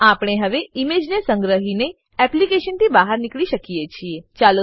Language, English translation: Gujarati, We can now save the image and exit the application